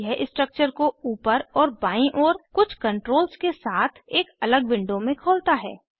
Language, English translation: Hindi, This opens the structure in a separate window with some controls on the top and on the left